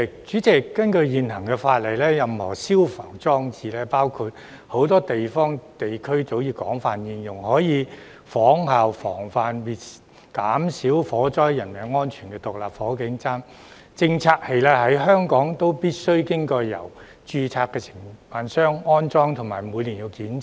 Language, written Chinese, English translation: Cantonese, 主席，根據現行法例，任何消防裝置，包括很多地方和地區早已廣泛應用並可以有效預防及減少火災造成的人命傷亡的獨立火警偵測器，在香港必須經由註冊承辦商安裝及每年檢查。, President under the existing legislation any fire service installations including stand - alone fire detectors SFDs which have long been widely used in many places and regions with proven efficacy in preventing and reducing casualties caused by fires must be installed and annually inspected by a registered contractor in Hong Kong